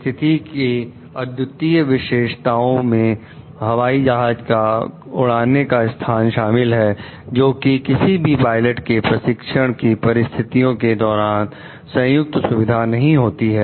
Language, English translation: Hindi, The unique features of the situation, including the location of the plane, could not have been joint features of any of the pilots training situations, however